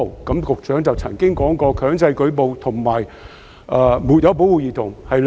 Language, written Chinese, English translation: Cantonese, 局長曾經表示，"強制舉報"和"沒有保護兒童"是兩回事。, The Secretary once said that mandatory reporting and failure to protect a child are two different issues